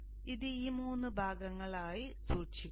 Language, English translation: Malayalam, So keep it into these three parts